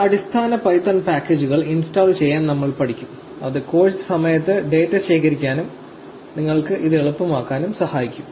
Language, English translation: Malayalam, So, we will also be learning to install some basic python packages that will help you during the course to collect the data and make it easy for you to do this